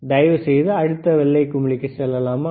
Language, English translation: Tamil, Can you please go to the next knob white that is it right